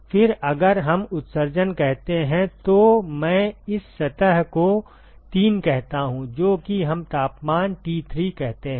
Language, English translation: Hindi, Then if let us say the emissivity I call this surface 3, which is at let us say temperature T3